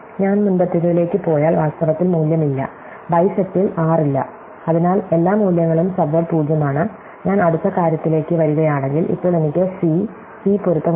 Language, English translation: Malayalam, If I go to the previous one, in fact the value no, there is no r in bisect, so therefore, all the values in the subword is 0, if I come to the next thing, again now I have one place where c and c match